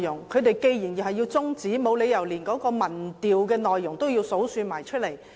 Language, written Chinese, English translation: Cantonese, 他們既然要中止辯論，沒理由連民意調查的內容都一一交代。, As they wish to adjourn the debate there is no reason for them to give an account of the opinion survey